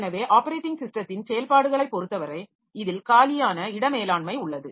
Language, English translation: Tamil, So, as far as OS activities are concerned, so it includes free space management